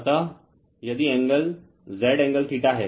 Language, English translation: Hindi, So, if the angle is Z angle theta